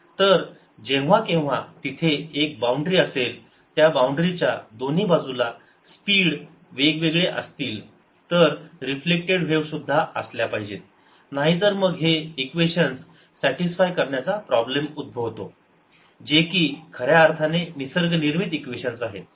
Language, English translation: Marathi, so whenever there is a boundary so that the speeds of the two sides of that boundary are different, there has to be a reflected wave also, otherwise arise into problems of satisfying these equations, which are true nature, given equations